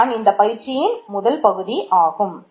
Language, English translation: Tamil, So, this is the first part of the exercise